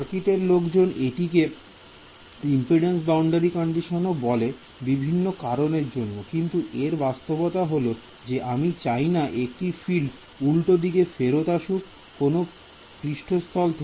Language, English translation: Bengali, Circuit’s people call it impedance boundary condition for different reasons ok, but the physical interpretation is this I do not want to field to come back from a hypothetical non existence surface ok